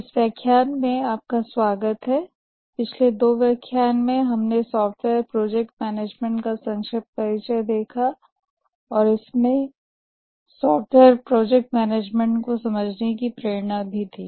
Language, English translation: Hindi, In the last two lectures we had some very brief introduction to the software project management and also motivation for software project management